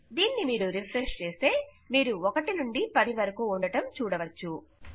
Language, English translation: Telugu, If we refresh this, we can see theres 1 to 10 now